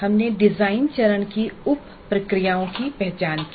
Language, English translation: Hindi, We identified the sub processes of design phase